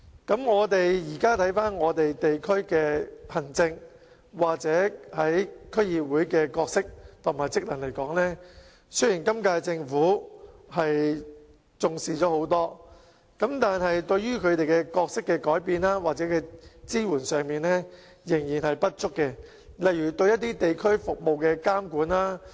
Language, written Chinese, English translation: Cantonese, 對於現時的地區行政，又或是區議會的角色和職能，雖然今屆政府已較以往重視，但對於它們角色的改變或支援方面仍然做得不足，例如對一些地區服務的監管。, With regard to district administration or the role and functions of DCs although the current - term Government has attached greater importance to these areas than in the past the work carried out in respect of changes to their role or the support provided has remained inadequate . The supervision of some community services is a case in point